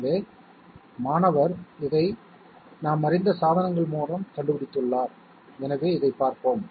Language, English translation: Tamil, So the student has developed this through devices that we are conversant with, so let us have a look